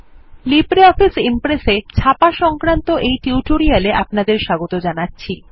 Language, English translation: Bengali, Welcome to this spoken tutorial of LibreOffice Impress Printing a Presentation